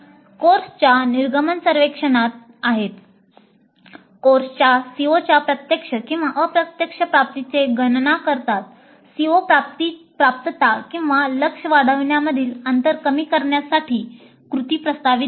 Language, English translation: Marathi, So there are course exit surveys, then computing the direct and indirect attainment of COs of the course, then proposing actions to bridge the gap in CO attainment or enhancement of the targets